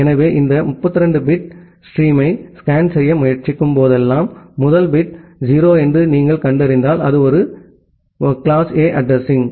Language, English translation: Tamil, So, whenever you are trying to scan these 32 bits of bit stream, if you find out that the first bit is 0 that means, it is a class A address